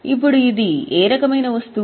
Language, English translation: Telugu, Now it is what type of item